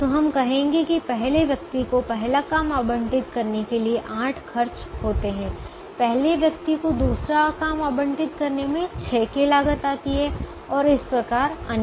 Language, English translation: Hindi, so we would say that it costs eight to allocate the first job to the first person, it costs six to allocate the second job to the first person, and so on